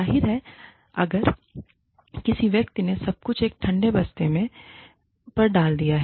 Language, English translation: Hindi, Obviously, if a person, has put everything, on a backburner